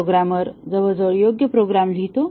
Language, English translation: Marathi, The programmer writes almost correct programs